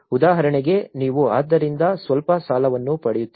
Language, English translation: Kannada, Like for instance, if you are getting some loan out of it